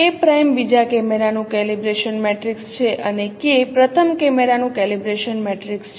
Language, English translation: Gujarati, K prime is the calibration matrix of the second camera and k is the calibration matrix of the first camera